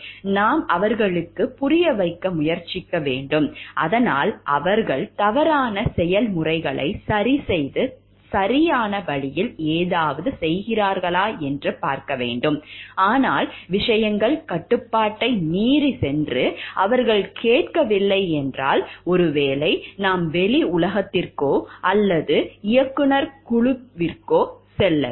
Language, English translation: Tamil, We should try to make them understand, so that they correct the wrong processes and do something in the right way, but if things are going beyond control and they are not listening then maybe we can go to the outside world or the board of directors and then to the outside world and find out the solution